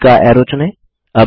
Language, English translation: Hindi, Lets select the middle arrow